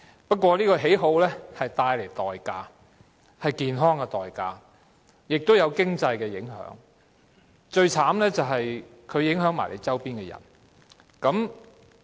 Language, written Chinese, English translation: Cantonese, 不過，這種喜好要付出代價，便是健康的代價，也會帶來經濟影響，而最糟糕的是會影響周邊的人。, But this personal preference carries a price . It costs ones health and causes adverse economic impacts . And the worst thing is that it will affect the people around him